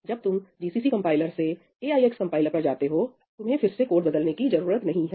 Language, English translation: Hindi, When you move from a GCC compiler to AIX compiler, you do not have to change your code again